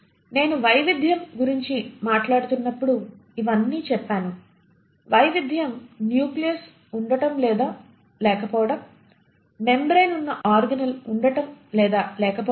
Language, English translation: Telugu, I said all this while I spoke about the diversity, the diversity was in terms of the presence or absence of nucleus, the presence or absence of membrane bound organelles